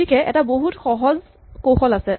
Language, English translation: Assamese, So, there is a very simple trick